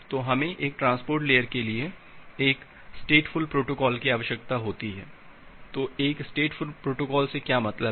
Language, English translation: Hindi, So, we need a stateful protocol for a transport layer, so what is mean by a stateful protocol